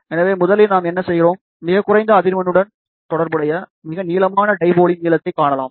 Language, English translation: Tamil, So, first thing what we do, we find the length of the longest dipole corresponding to the lowest frequency